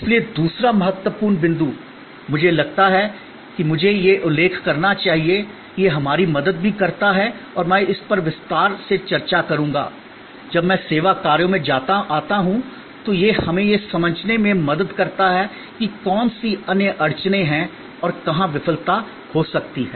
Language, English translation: Hindi, So, the other important point, I think I should mention that it also help us and I will discuss this in a detail section, when I come to service operations is that, it helps us to understand that which other bottleneck points and where failure can happened